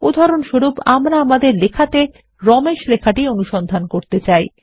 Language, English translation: Bengali, For example we have to search for all the places where Ramesh is written in our document